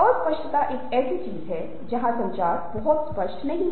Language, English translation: Hindi, ambiguity is something where communication is not very clear